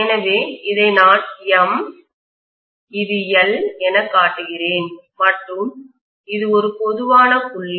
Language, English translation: Tamil, So I am showing this as M, this as L and this is a common point